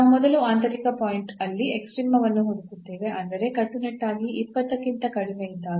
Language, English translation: Kannada, We will first look for the extrema in the interior point; that means, when strictly less than 20